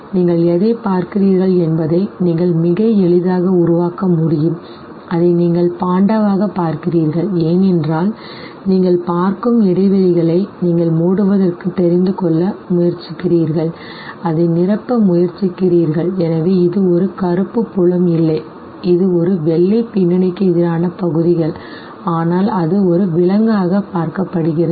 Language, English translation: Tamil, Now when you actually see it, you can very easily make out what you are looking at and you see it as panda because there are gaps that you see you try to close it, you try to fill it and therefore this is not looked upon as some black filled areas against white background but rather it is looked upon as an animal